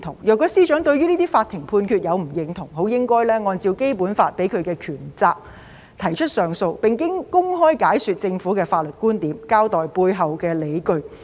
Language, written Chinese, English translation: Cantonese, 如果司長對於這些法庭判決不認同，應該按照《基本法》賦予的權責提出上訴，並公開解說政府的法律觀念，交代背後的理據。, If the Secretary for Justice does not agree to these judgments she should lodge appeals and openly explain the legal viewpoints of the Government and the underlying rationale in accordance with the powers and duties conferred on her by the Basic Law